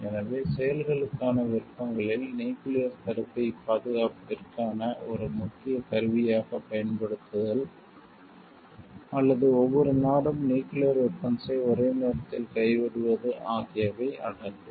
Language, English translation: Tamil, So, the options for actions include use nuclear deterrence as an important instrument for security, or to every country gives up the nuclear weapon at the same time